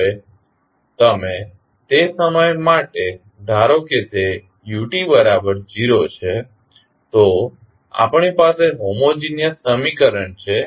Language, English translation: Gujarati, Now, if you assume for the time being that ut is 0 then we have homogeneous equation